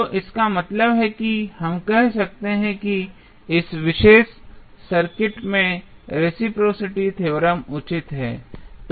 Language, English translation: Hindi, So, that means that we can say that the reciprocity theorem is justified in this particular circuit